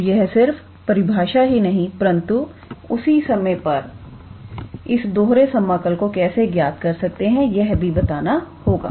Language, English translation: Hindi, So, it is not only just the definition, but at the same time we have to address that how do we calculate the double integral